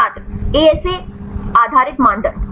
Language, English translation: Hindi, ASA based criteria